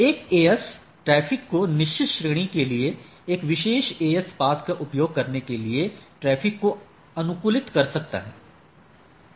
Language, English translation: Hindi, Or an AS can optimize traffic to use specific AS path for certain category of traffic